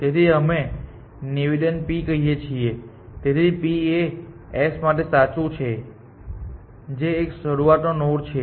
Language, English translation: Gujarati, So, we call the statement p; so p is true for s which is a start node